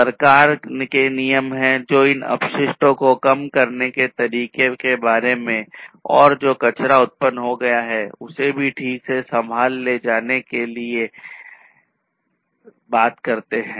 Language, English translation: Hindi, So, there are government regulations, which talk about how to reduce these wastes and also the wastes that are produced will have to be handled properly